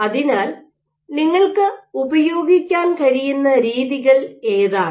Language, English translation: Malayalam, So, what are some of the modes that you can use